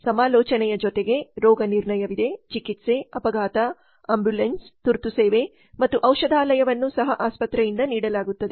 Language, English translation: Kannada, In addition to consultation there is diagnosis treatment, casualty ambulance emergency service and pharmacy which are also provided by the hospital